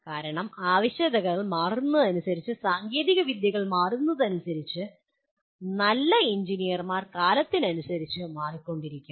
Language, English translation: Malayalam, Because as the technology changes as the requirements change what is considered good engineer may also keep changing with time